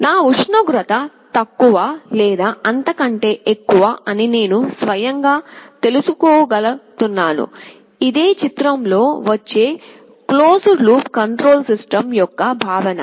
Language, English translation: Telugu, I should able to know automatically whether my temperature is lower or higher, that is the notion of a closed loop control system that comes into the picture